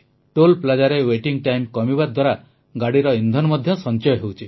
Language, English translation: Odia, Due to this reduced waiting time at the Toll plaza, fuel too is being saved